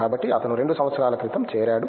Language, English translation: Telugu, So, he just joined just before 2 years back